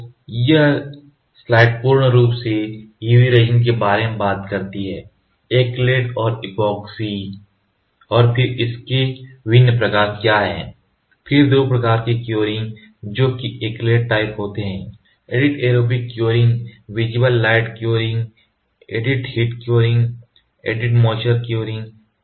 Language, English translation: Hindi, So, this slide in totality talks about UV resin acrylated epoxy and then what are the different kinds of it then 2 types of curing that is acrylate type is adding anaerobic curing visible light curing heat curing and moisture curing